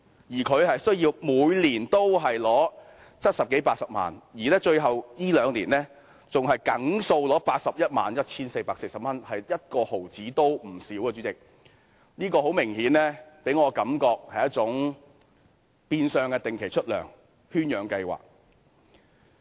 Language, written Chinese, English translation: Cantonese, 但他們每年須領取七十多八十萬元，而最近這兩年還固定領取 811,440 元，一毫子也不缺少，主席，這給我的感覺很明顯，它是一種變相的定期出糧圈養計劃。, But they are to be paid 700,000 to 800,000 every year . In the last two years they received a fixed amount of 811,440 not a penny less . Chairman this gives me an obvious feeling that it is tantamount to a captive breeding scheme where payments are received on a regular basis